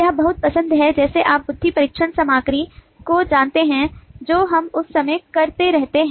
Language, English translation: Hindi, this is pretty much like the you know the iq test stuff that we keep on doing all that time